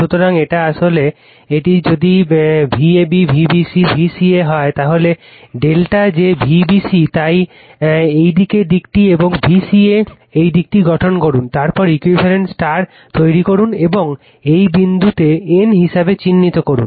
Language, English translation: Bengali, So, this is actually this is your what you call if for if it is your V ab, V bc, V ca, you form the delta I told you right that V bc so this direction and V ca this direction, then you make equivalent star, and this point you mark as n right